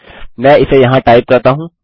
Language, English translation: Hindi, Let me type it here